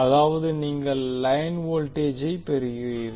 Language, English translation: Tamil, That means you will get the line voltage